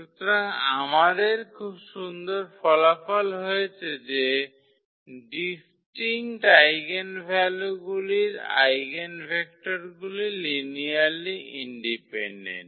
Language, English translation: Bengali, So, we have this very nice result that corresponding to distinct eigenvalue the eigenvectors are linearly independent